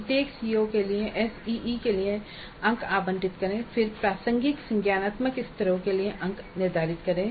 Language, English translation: Hindi, For each CO, allocate marks for ACE, then determine the marks for relevant cognitive levels